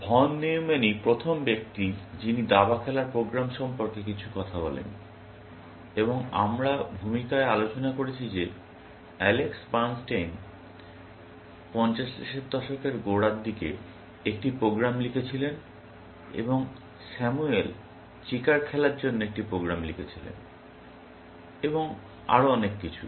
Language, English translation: Bengali, Von Newman was the first person to talk about chess playing programs, and we have discussed in the introduction that Alex Bernstein wrote a program in the early 50’s, and Samuel wrote a program to play checkers, and so on and so forth